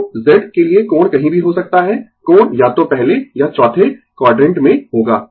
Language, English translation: Hindi, So, angle can be anywhere for Z angle will be either first or in the fourth quadrant right